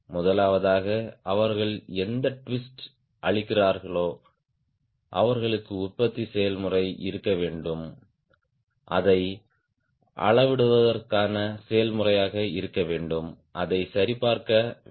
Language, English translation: Tamil, first of all, whatever twist they are giving, they have to manufacturing process, they have to be process to measure it, validated it